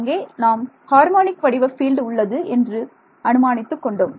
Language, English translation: Tamil, So, we can say harmonic form of the field was assumed